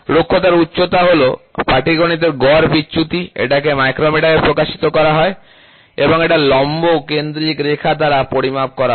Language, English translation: Bengali, Roughness height is the arithmetic average deviation expressed in micrometers and measured perpendicularity centre line